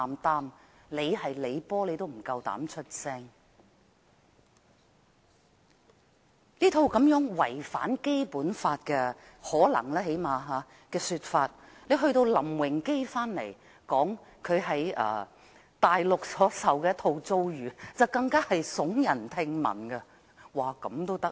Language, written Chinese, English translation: Cantonese, 當我們聽過這件事可能違反《基本法》的說法後，林榮基返港說出他在大陸所受的遭遇，更是聳人聽聞。, After hearing the suggestion that this incident might be in breach of the Basic Law we find the revelation made by LAM Wing - kee after returning to Hong Kong of the treatment he had received on the Mainland even more shocking